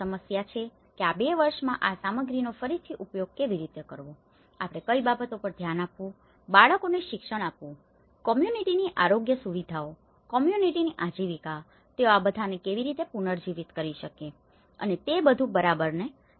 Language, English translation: Gujarati, And there are issues like how this material could be reused in these two years, what are the things we have to address, children schooling, the community's health facilities, communityís livelihood, how they can regenerate and all these, okay